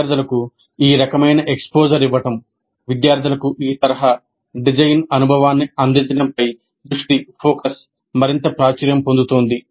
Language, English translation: Telugu, So the focus on giving this kind of exposure to the students, providing this kind of design experience to the students is becoming more and more popular